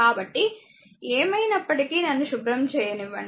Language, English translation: Telugu, So, anyway then let me clean it right